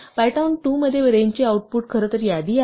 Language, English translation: Marathi, In Python 2, the output of range is in fact, the list